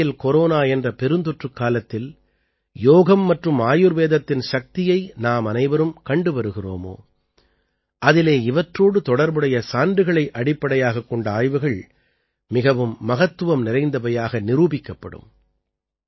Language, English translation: Tamil, The way we all are seeing the power of Yoga and Ayurveda in this time of the Corona global pandemic, evidencebased research related to these will prove to be very significant